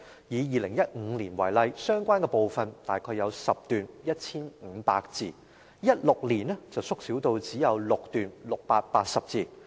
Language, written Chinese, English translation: Cantonese, 以2015年為例，相關部分大約有10段 ，1,500 字 ；2016 年縮小至只有6段 ，680 字。, In 2015 for example there were about 10 paragraphs or 1 500 words for this chapter . In 2016 it was downsized to only six paragraphs or 680 words